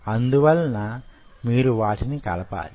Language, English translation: Telugu, so now you have to add them